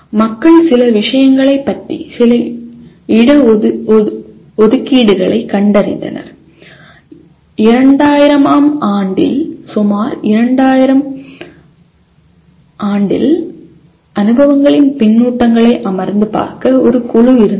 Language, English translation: Tamil, And people did find some reservations about some of the things and there was a committee that in around 2000 year 2000 they sat down and looked at the experiences feedback that was given